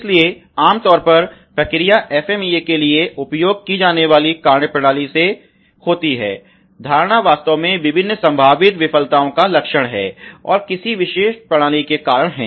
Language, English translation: Hindi, So, the methodology that is typically used for the process FMEA is to again, you know the philosophy is really the characterization of various potential failures, and its causes of a particular system ok